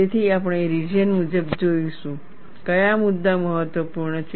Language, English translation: Gujarati, So, we would see region wise, what are the issues that are important